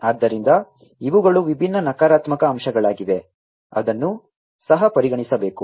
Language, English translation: Kannada, So, these are the different negative aspects that will also have to be considered